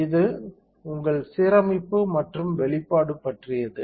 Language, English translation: Tamil, So, this is about your alignment and exposure